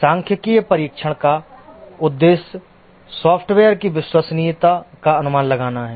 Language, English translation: Hindi, The objective of statistical testing is to estimate the reliability of the software